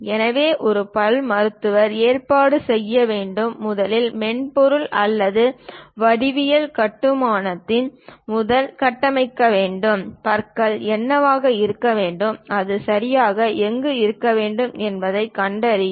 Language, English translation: Tamil, So, a dentist has to arrange, first of all, construct either through software or geometric construction; locate what should be the teeth and where exactly it has to be located